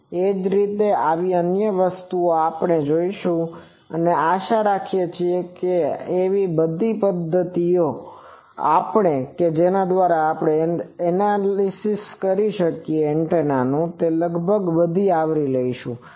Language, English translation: Gujarati, Similarly, other such things we will see and hope by now actually all the methods by which the analysis of antenna is done we have almost covered